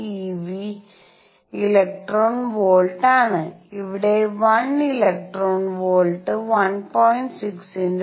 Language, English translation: Malayalam, 6 over n square e v electron volts where let me just clarify 1 electron volt is 1